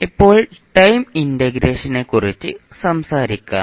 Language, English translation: Malayalam, Now let’ us talk about the time integration